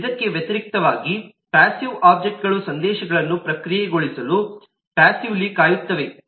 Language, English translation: Kannada, in contrast, passive objects are passively waits for messages to be processed